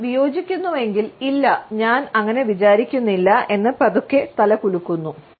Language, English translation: Malayalam, If we disagree, we tend to slowly shake our heads, “No, I do not think so